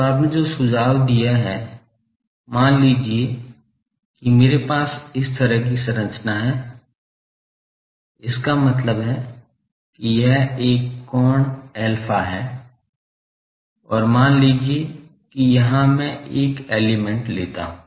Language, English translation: Hindi, So, what you suggested that, suppose I have a structure like this; that means, it is a angle alpha, and here suppose I take a element